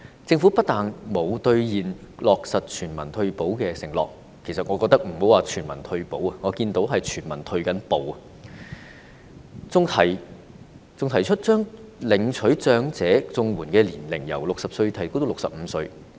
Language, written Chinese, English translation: Cantonese, 政府不單沒有兌現落實全民退保的承諾——我認為莫說是全民退保，我看到的是全民正在退步——還提出將領取長者綜援的年齡由60歲提高至65歲。, Not only has the Government failed to honour its promise of implementing a universal retirement protection scheme―I think the failure to provide universal retirement protection aside what I have seen is universal retrogression―it has even proposed raising the eligibility age for elderly CSSA from 60 to 65